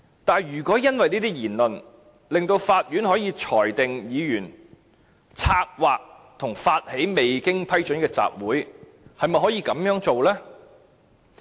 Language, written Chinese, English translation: Cantonese, 但是，如果因為這些言論，令法院可以裁定議員策劃和發起未經批准的集會，是不是可以這樣做呢？, However if the Court can rule that the Member has planned and initiated an unauthorized assembly based on what he has said will this be acceptable?